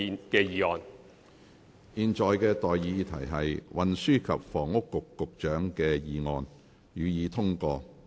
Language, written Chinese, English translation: Cantonese, 我現在向各位提出的待議議題是：運輸及房屋局局長動議的議案，予以通過。, I now propose the question to you and that is That the motion moved by the Secretary for Transport and Housing be passed